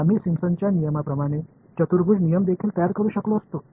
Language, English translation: Marathi, We could as well have made a quadrature rule out of Simpson’s rule